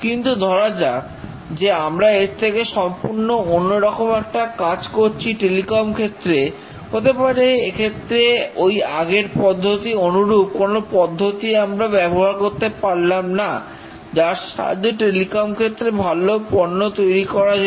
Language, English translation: Bengali, But let's say we are doing something very different in a telecom domain and maybe we cannot replicate that process to have a good product and telecom